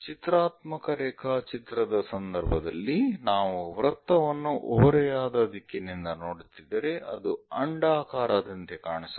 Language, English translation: Kannada, In the case of pictorial drawing, a circle if we are looking at an inclined direction it might look like an ellipse